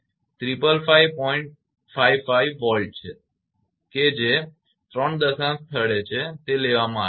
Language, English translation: Gujarati, 555 volt up to 3 decimal place it is taken